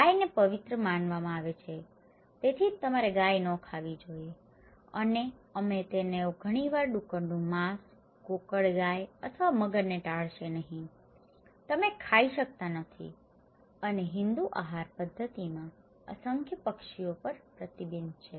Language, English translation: Gujarati, Cows are considered to be sacred thatís why you should not eat cow and we and they often avoid the pork, no snails or crocodiles, you cannot eat and numerous birds are restricted in Hindu dietary practices